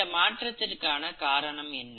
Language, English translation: Tamil, So how are these variations caused